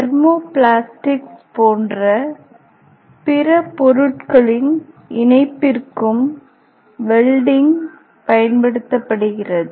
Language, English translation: Tamil, That welding is sometimes applies some other types of material like thermo plastic